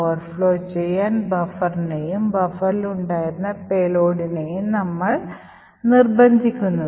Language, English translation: Malayalam, We force the buffer to overflow and the payload which was present in the buffer to execute